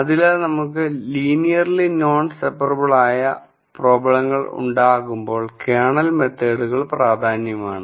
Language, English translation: Malayalam, So, Kernel methods are important when we have linearly non separable problems